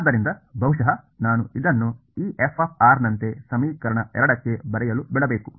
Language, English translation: Kannada, So, maybe I should let me just write it like this f of r into equation 2